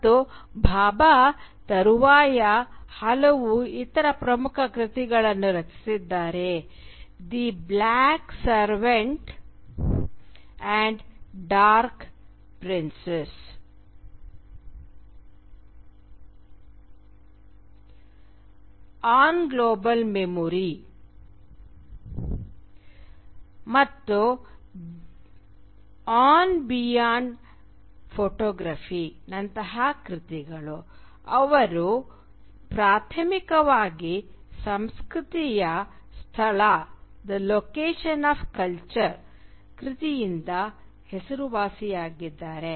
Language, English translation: Kannada, And though Bhabha has subsequently authored a number of other important works like “The Black Savant and the Dark Princess”, “On Global Memory”, and “Beyond Photography”, he is primarily known for The Location of Culture